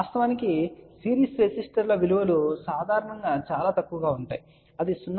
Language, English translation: Telugu, Of course, series resistors value is generally very small that can be maybe 0